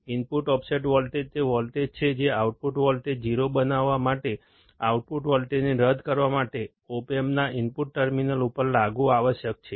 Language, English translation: Gujarati, The input offset voltage, is the voltage that must be applied to the input terminals of the opamp to null the output voltage to make the output voltage 0